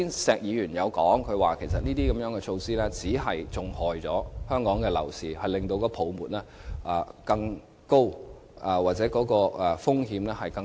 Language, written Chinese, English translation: Cantonese, 石議員剛才提到，這些措施只會害了香港樓市，令泡沫風險更高。, Mr SHEK just mentioned that these measures were detrimental to Hong Kongs property market and would increase the risk of property bubble